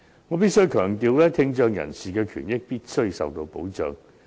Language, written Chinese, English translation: Cantonese, 我必須強調，聽障人士的權益必須受到保障。, I must stress that the rights and interests of people with hearing impairment must be protected